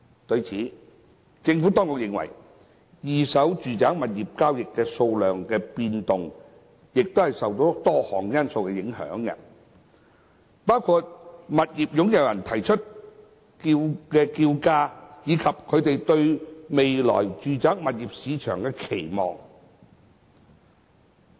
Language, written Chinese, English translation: Cantonese, 對此，政府當局認為二手住宅物業交易數量的變動亦受多項因素影響，包括物業擁有人提出的叫價，以及他們對未來住宅物業市場的期望。, The Administration has pointed out that changes in the number of second - hand residential property transactions are subject to various factors including the asking prices put forward by property owners and their expectation on the future residential property market